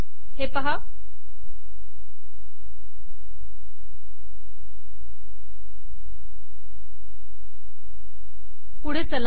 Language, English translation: Marathi, See this, move forward